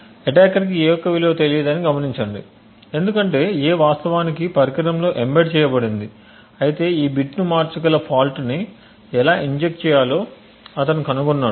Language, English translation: Telugu, Note that he attacker has does not know the value of a because a is actually embedded into the device in the device but rather he somehow has figured out how to inject a fault that could potentially change this bit